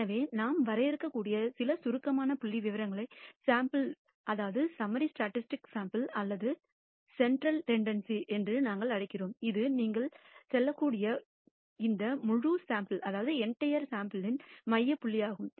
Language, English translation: Tamil, So, some of the summary statistics that we can define for a sample or what we call measures of central tendency, it is the kind of the center point of this entire sample you might say